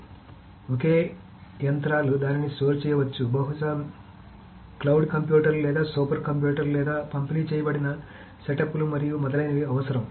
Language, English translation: Telugu, So because single machines may not store it, so you will require probably cloud computers or super computers or distributed setups and so on and so forth